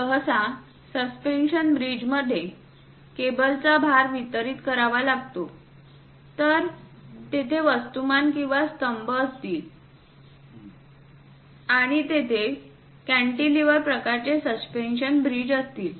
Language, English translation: Marathi, Usually, the suspension bridge, the cables load has to be distributed; so there will be mass or pillars, and there will be more like a cantilever kind of suspension bridges will be there